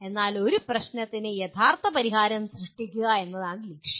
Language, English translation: Malayalam, But the goal is to create an original solution for a problem